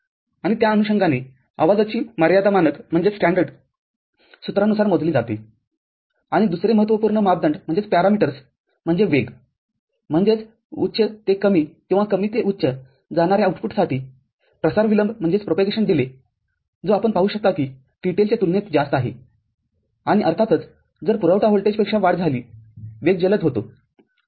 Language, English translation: Marathi, And, accordingly the noise margins are calculated by the standard formula and for another important parameter is the speed, that is the propagation delay for output going from high to low or low to high which we can see is relatively higher compared to TTL and of course, if the supply voltage increases the speed becomes faster ok